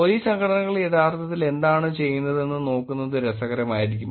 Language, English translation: Malayalam, It will be interesting to look at what Police Organizations are actually doing